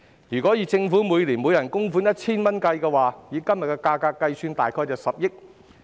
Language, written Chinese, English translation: Cantonese, 如果政府每年為每人供款 1,000 元，以今天的價格計算，大約涉及10億元。, Hence the Governments contribution of 1,000 per person per year will cost about 1 billion at todays prices